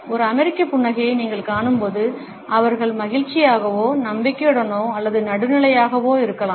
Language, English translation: Tamil, When you see an American smiling, they might be feeling happy, confident or neutral